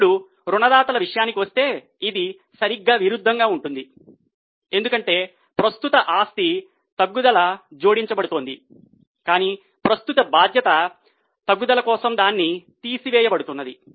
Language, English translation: Telugu, When it comes to creditors, it will be exactly opposite because for a current asset decrease is going to be added but for a current liability decrease will be deducted